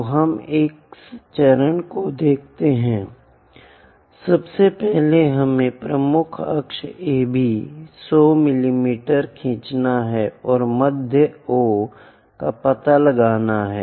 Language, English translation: Hindi, So, let us look at this steps, first of all, we have to draw major axis AB 100 mm and locate the midpoint O